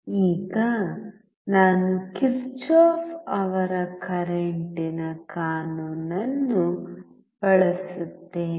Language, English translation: Kannada, Now, I use Kirchhoff’s current law